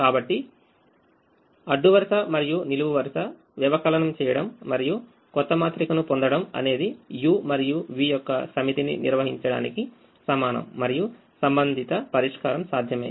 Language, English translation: Telugu, so doing the row column subtraction and getting a new matrix is equivalent of defining a set of u and v such that the corresponding dual solution is feasible